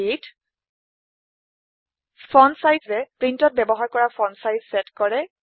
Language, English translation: Assamese, fontsize sets the font size used by print